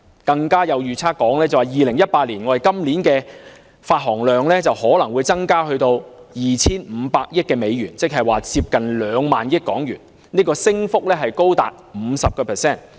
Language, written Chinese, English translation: Cantonese, 更有預測指 ，2018 年今年的發行量可能增至 2,500 億美元，即接近 20,000 億港元，升幅超過 50%。, It has even been estimated that the issuance this year 2018 may rise to US250 billion or close to HK2,000 billion representing an increase of more than 50 %